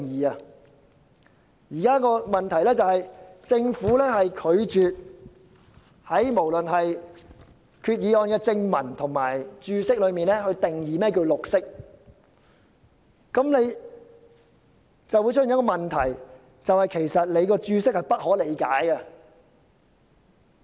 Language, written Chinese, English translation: Cantonese, 當前的問題是，政府拒絕在決議案的正文或註釋中定義何謂"綠色"，以致當局的註釋變得不可理解。, At issue is that the Government has refused to define the word green in either the body text or the Explanatory Note of the Resolution and this has made the Explanatory Note incomprehensible